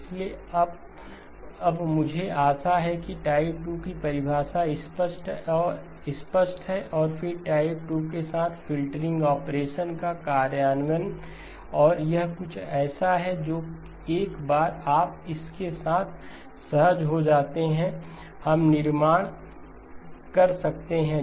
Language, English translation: Hindi, So for now I hope the definition of type 2 is clear and then the implementation of a filtering operation with type 2 and this is something that, once you are comfortable with this, we can build on